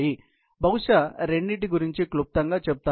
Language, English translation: Telugu, I will probably, give you a brief of both